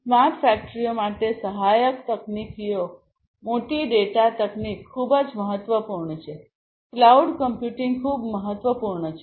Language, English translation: Gujarati, Supporting technologies for smart factories, big data technology is very important, cloud computing is very important